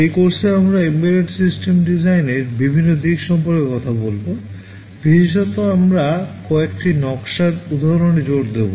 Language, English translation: Bengali, In this course we shall be talking about various aspects of Embedded System Design, in particular we shall be emphasizing on some hands on design examples